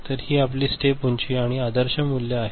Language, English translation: Marathi, So, this is your step height, and the ideal value